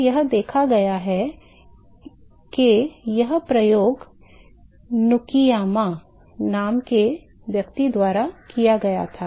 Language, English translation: Hindi, So, what was observed this experiment was done by person name Nukiyama